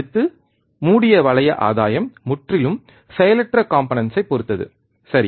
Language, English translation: Tamil, Next, close loop gain depends entirely on passive components, right